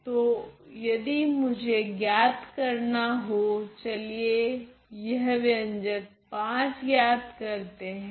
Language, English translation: Hindi, So, I am if I were to evaluate let us evaluate this expression V ok